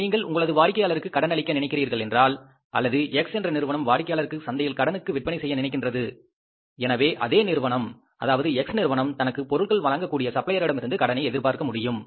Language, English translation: Tamil, So, if you are thinking of extending the credit to your buyers in the market or form X is thinking of extending the credit, selling on credit to their buyer in the market, so the same firm, firm X has the right to expect the credit facility from its suppliers who gives the, who supplies the raw material